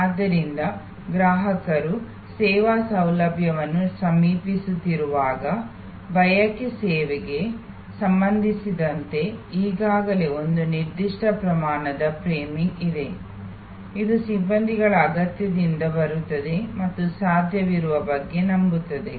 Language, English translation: Kannada, So, when the customer is approaching the service facility, there is already a certain amount of framing with respect to desire service, which comes from personnel need and believe about what is possible